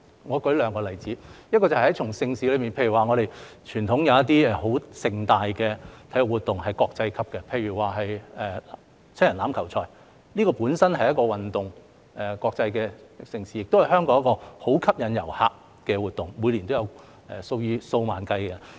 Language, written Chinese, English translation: Cantonese, 我舉兩個例子，在盛事方面，有些十分盛大的傳統體育活動，是國際級的，例如香港國際七人欖球賽本身是一項運動、一項國際盛事，亦是香港一個相當吸引遊客的活動，每年有數以萬計的人參與。, Let me give two examples . As for major events there are some very grand traditional sports events which are of international standard . For example the Hong Kong Sevens is a sports and international event in itself and it is also a very attractive event for tourists in Hong Kong with tens of thousands of people participating in it every year